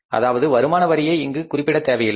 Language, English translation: Tamil, So, income taxes may be ignored here